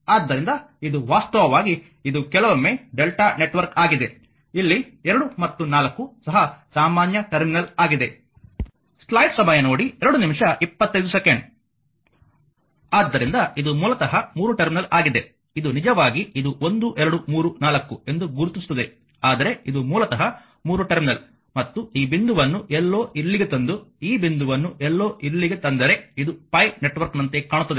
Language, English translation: Kannada, So, it is basically 3 terminal and one this is actually this your this is 2 3 4 this will mark, but this is basically a 3 terminal and if you just if you just bring this point to somewhere here and bring this point to somewhere here, this look like a your pi network